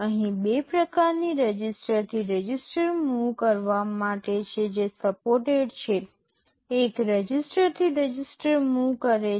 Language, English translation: Gujarati, Here there are two kind of register to register move that are supported, one is a simple register to register move